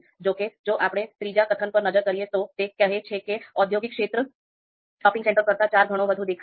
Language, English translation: Gujarati, However, if we look at the third assertion, it says that industrial area is four times more visible than the shopping centre